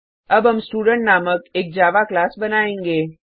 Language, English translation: Hindi, We will now create a Java class name Student